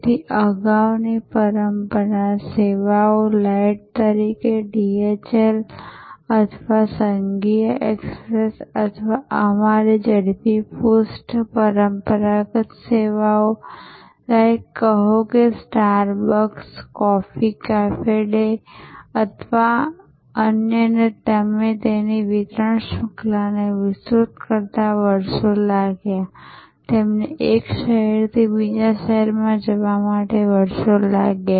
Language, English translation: Gujarati, So, earlier traditional services light say DHL or federal express or our speed post, traditional services likes say star bucks, coffee cafe day or others took years to expand their distribution chain took years they had to go from one city to the other city, go from one country to the other country